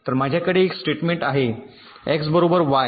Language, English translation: Marathi, so i have a statement x equal to y